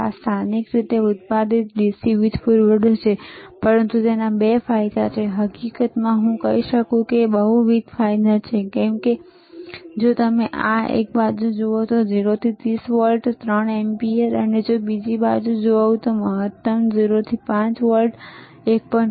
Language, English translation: Gujarati, This is the locally manufactured DC power supply, but there are 2 advantages, in fact, I can say the multiple advantages isare, one is, see in this side if you see, 0 to 30 volts 3 ampere and if you go to thisother side, maximum is 0 to 5 volts 1